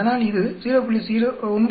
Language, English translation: Tamil, So it is giving 0